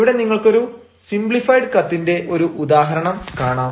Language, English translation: Malayalam, here you can see an example of a simplified letter